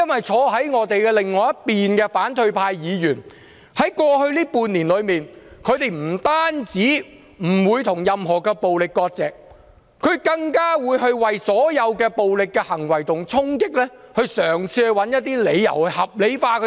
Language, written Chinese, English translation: Cantonese, 坐在我們另一邊的反對派議員，在過去半年不單沒有跟任何暴力割席，更會為所有暴力行為和衝擊嘗試找一些理由，予以合理化。, Opposition Members sitting on the other side of ours not only failed to distance themselves from violence in the past six months but also tried to find some justifications to rationalize all such violence and attacks